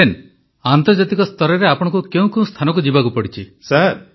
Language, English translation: Odia, Captain, internationally what all places did you have to run around